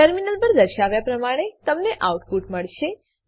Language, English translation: Gujarati, You will get the output as displayed on the terminal